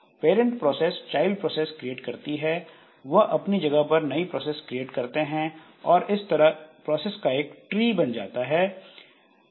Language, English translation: Hindi, So, parent process creates children processes and which in turn create other processes forming a tree of the process